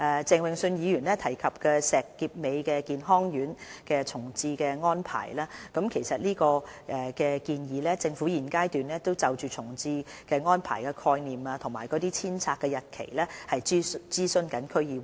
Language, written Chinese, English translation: Cantonese, 鄭泳舜議員提及石硤尾健康院的重置安排，其實就這個建議，政府在現階段正就重置安排的概念和遷拆日期諮詢區議會。, Mr Vincent CHENG would like to know more about the proposed reprovisioning of the Shek Kip Mei Health Centre . At present the Government is consulting the District Council concerned about the proposed arrangement and the demolition timetable